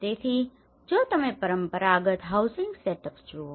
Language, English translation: Gujarati, So, if you look at the traditional housing setups